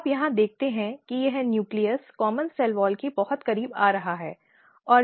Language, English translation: Hindi, Now, you can see that this nucleus are coming very close to the common cell wall